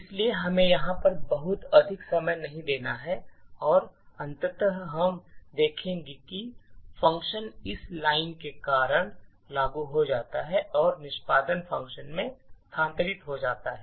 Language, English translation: Hindi, So, we don’t have to spend too much time over here and eventually we would see that the function gets invoked due to this line and the execution has been transferred to the function